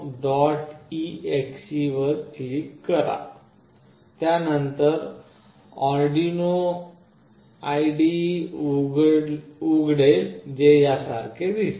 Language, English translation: Marathi, exe, then the arduino IDE will open that looks similar to this